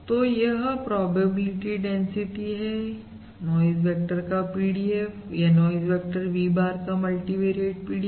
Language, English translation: Hindi, So this is the probability density PDF of the noise vector or the multivariate PDF of noise vector V bar, Which is nothing